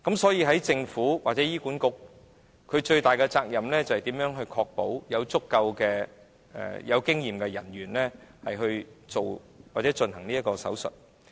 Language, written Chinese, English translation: Cantonese, 所以，政府或醫管局最大的責任，是如何確保有足夠具經驗的人員進行這類手術。, Therefore the Government or HA should be principally responsible for ensuring that there are sufficient experienced personnel to carry out this kind of surgeries